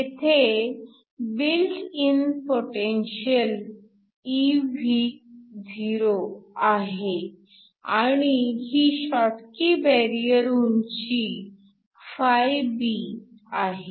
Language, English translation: Marathi, There is a built in potential which is evo and there is a schottky barrier height φB